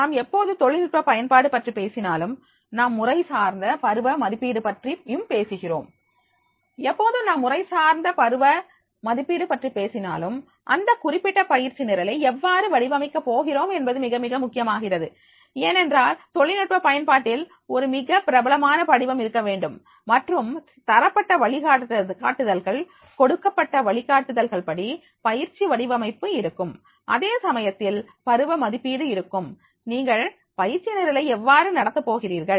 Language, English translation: Tamil, Now whenever we are talking about the use of technology then we talk about the formative and summative assessment and whenever we talk about the formative and summative assessment, it becomes very, very important that is the how we are going to format that particular training program because in the use of technology there has to be a very strong formative and the given guidelines as per the given guidelines as per the formative the training program will be designed